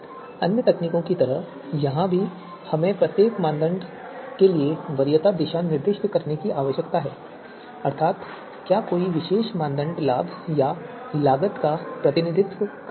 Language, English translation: Hindi, Now let us move ahead now just like in other techniques also we need to specify the preference direction for each criterion so whether you know a particular criterion is representing benefit or whether the criterion is representing cost